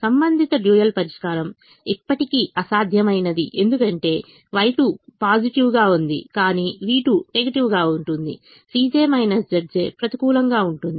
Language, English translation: Telugu, the corresponding dual solution is still infeasible because y two is positive but v two is negative, negative of the c j minus z j